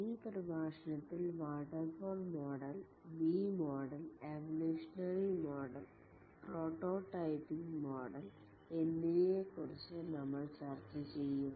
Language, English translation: Malayalam, In this lecture, we will discuss about the waterfall model, V model, evolutionary model and the prototyping model